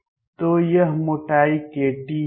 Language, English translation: Hindi, So, this thickness is going to be k t